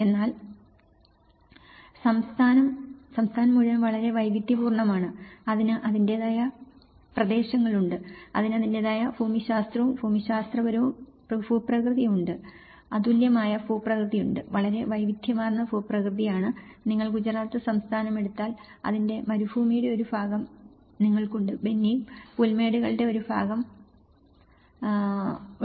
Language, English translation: Malayalam, But the state; whole state is very diverse, it has its own regions, it has his own unique geological and geographical and topographical conditions, it has unique landscape; is a very diverse landscape, if you take Gujarat state, you have the desert part of it; you have the Banni grasslands part of it